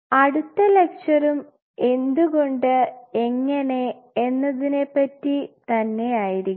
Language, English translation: Malayalam, Our next lecture what we will be talking about is again the same why and how